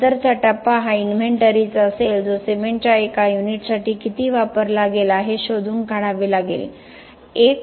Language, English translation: Marathi, Next stage then would be the inventory we will have to find how much of each was used for a unit of the cement to be produced